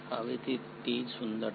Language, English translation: Gujarati, Now that is the beauty